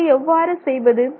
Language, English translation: Tamil, So, how do you do that